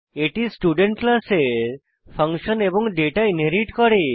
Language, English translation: Bengali, It inherits the function and data of class student